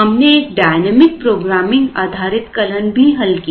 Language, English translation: Hindi, We also did a dynamic programming based algorithm